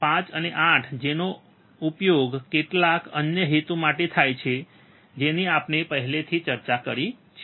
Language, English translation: Gujarati, 1 5 and 8, that are used for some other purposes which we have already discussed